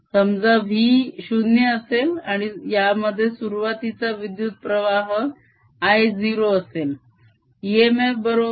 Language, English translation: Marathi, suppose v was zero and there is an initial current i equals i zero